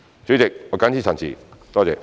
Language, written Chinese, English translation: Cantonese, 主席，我謹此陳辭，多謝。, I so submit President . Thank you